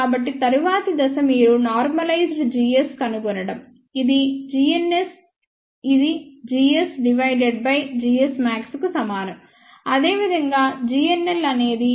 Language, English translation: Telugu, So, the next step is you find out the normalized g s which is g n s this will be equal to g s divided by g s max, similarly, g n l will be g l divided by g l max